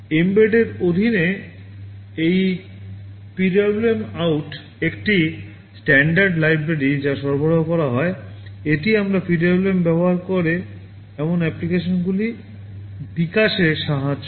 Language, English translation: Bengali, Under mbed this PWMOut is a standard library that is provided, it helps us in developing applications that use a PWM